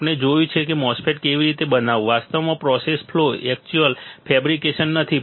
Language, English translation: Gujarati, We have seen how to fabricate a MOSFET actually the process flow not actual fabrication